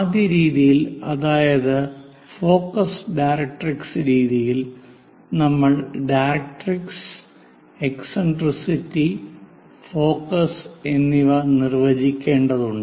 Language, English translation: Malayalam, For the first method focus and directrix method, we have a definition about directrix, eccentricity and focus